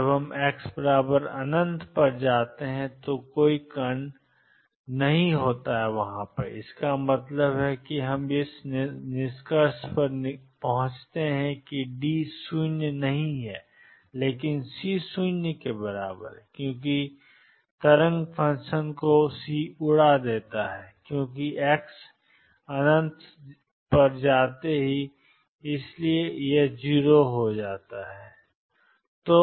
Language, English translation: Hindi, There will not be any particles when we go to x equals infinity means we can conclude that D is non 0, but C is 0 because C makes the wave function blow up as to infinity and therefore, will take it to be 0